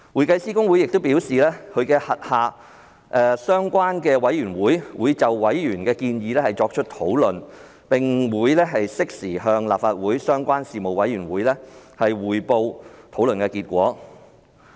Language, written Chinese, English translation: Cantonese, 公會又表示，其轄下的相關委員會會討論委員的建議，並適時向立法會相關事務委員會匯報討論結果。, HKICPA has further advised that its relevant committee will discuss members suggestion and revert to the relevant Panel of the Legislative Council on the outcome of the discussion in due course